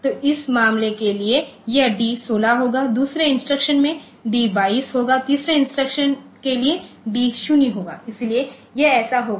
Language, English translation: Hindi, So, for this case this d will be 16, for the second instruction d will be 22, for the third instruction d will be 0, so it will be like that